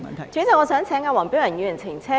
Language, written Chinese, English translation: Cantonese, 代理主席，我想請黃碧雲議員澄清。, Deputy President I wish to seek elucidation from Dr Helena WONG